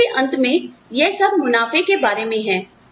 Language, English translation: Hindi, At the end of the day, it is all about profits